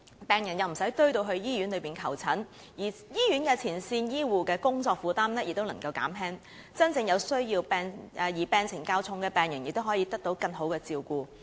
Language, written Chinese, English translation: Cantonese, 病人不用擠進醫院求診，而醫院的前線醫護人員亦能減輕工作負擔，真正有需要、病情較重的病人亦可以得到更好的照顧。, Patients need not squeeze into the hospitals to seek consultation while the workload of frontline health care staff in the hospitals can be alleviated . Patients with genuine needs and in a more severe condition can also receive better care